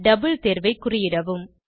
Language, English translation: Tamil, Check against double option